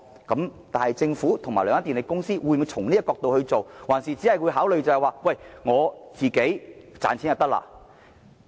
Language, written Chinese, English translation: Cantonese, 然而，政府和兩間電力公司會否從這個角度出發，還是只會以自身利益作考慮？, However it is questionable whether the Government and the two power companies will make decisions from this perspective or merely based on their own interests